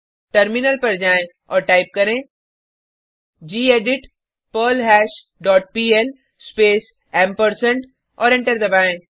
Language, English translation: Hindi, Switch to terminal and type gedit perlHash dot pl space and press Enter